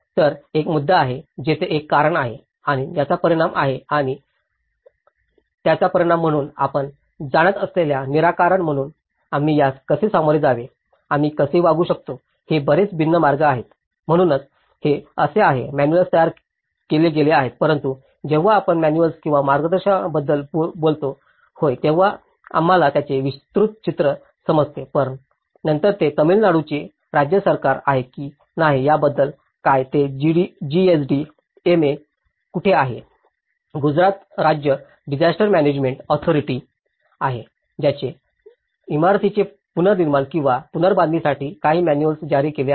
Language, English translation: Marathi, So, there is a issue, there is a cause and there is an impact and as a result of this, how we can deal with this as a solution you know, what are the very different ways we can deal, so that is how these manuals have been framed but then when we talk about the manuals or the guidance yes, we do understand the show a broader picture of it but then, what about whether it is a State Government of Tamil Nadu whether it is engineering structures GSD, MA where is a Gujarat State Disaster Management Authority which have issued some manuals for retrofitting the buildings or reconstruction